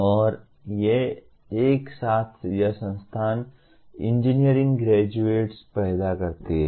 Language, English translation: Hindi, And these together, this institute produces engineering graduates